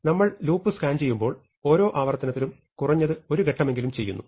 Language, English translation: Malayalam, Now, when we are scanning the loop in every iteration we do at least one step